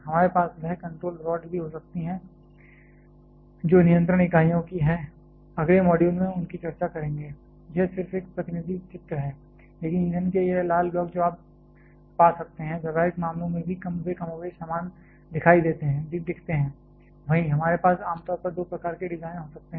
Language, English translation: Hindi, We can also have that control rods which are of the controlling units which will discussing them in that next module, this is just a representative picture, but this red blocks of fuel that you can find, in practical cases also they look more or less the same, we generally can have two types of designs